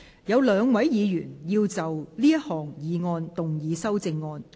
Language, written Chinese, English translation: Cantonese, 有兩位議員要就這項議案動議修正案。, Two Members will move amendments to this motion